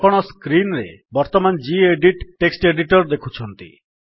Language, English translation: Odia, So what you see right now on screen is the gedit Text Editor